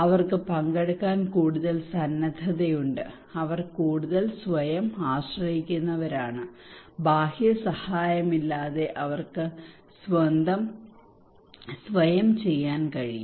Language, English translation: Malayalam, They have more willingness to participate, and they are more self reliant, and they can do by themselves without external help